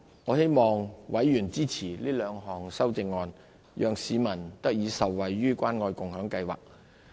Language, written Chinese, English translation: Cantonese, 我希望委員支持這兩項修正案，讓市民得以受惠於關愛共享計劃。, I hope Members will support the two amendments so that members of the public to benefit from the Caring and Sharing Scheme